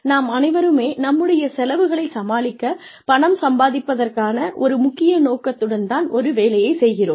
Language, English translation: Tamil, We all take up careers, with of course, one main intention of earning money, that can pay our bills